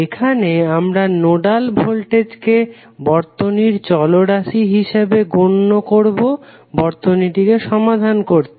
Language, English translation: Bengali, Here we will usenode voltage as a circuit variable to solve the circuit